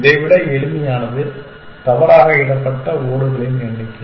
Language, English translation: Tamil, It can be simpler than this, number of misplaced tiles